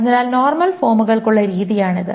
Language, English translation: Malayalam, So that is the way for normal forms